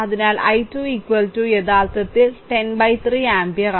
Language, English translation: Malayalam, So, i 2 is equal to actually 10 by 3 ampere right